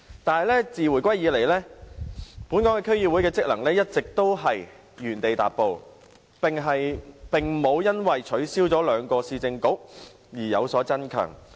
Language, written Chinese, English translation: Cantonese, 可是，自回歸以來，本港區議會的職能一直原地踏步，並無因為取消了兩個市政局而有所增強。, However since the reunification the role and functions of DCs have remained stagnant having seen no strengthening despite the abolishment of the two Municipal Councils